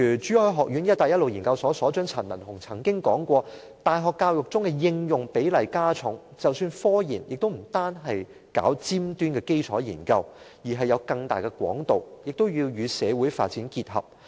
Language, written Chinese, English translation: Cantonese, 珠海學院一帶一路研究所所長陳文鴻教授曾經指出，大學教育中的應用比例加重，即使科研也不是單單搞尖端的基礎研究，而是有更大的廣度，也要與社會發展結合。, Prof Thomas CHAN Director of the One Belt One Road Research Institute of the Chu Hai College of Higher Education once pointed out that application should be given more weight in university education meaning that scientific research should not be confined to cutting - edge fundamental research . Instead it should be conducted in a broader manner in keeping with social development